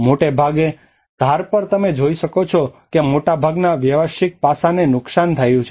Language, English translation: Gujarati, Mostly you can see that on the edges you can see that most of the commercial aspect has been damaged